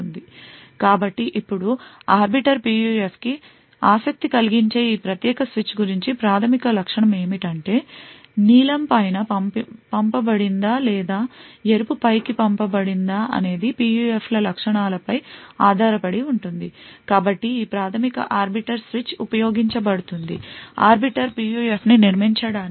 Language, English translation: Telugu, So now the fundamental feature about this particular switch that makes it interesting for the Arbiter PUF is that these outputs whether the blue is sent on top or the red is sent on top depends on the characteristics of these PUFs, so this fundamental arbiter switch is used to build an Arbiter PUF